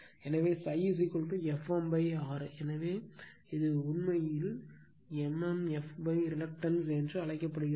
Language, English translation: Tamil, So, phi is equal to F m upon R so, this is actually called mmf upon reluctance right